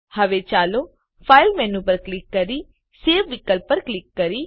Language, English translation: Gujarati, Now let us click on File menu and click on the Save option